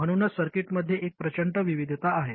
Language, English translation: Marathi, So this is why there is a huge variety in circuits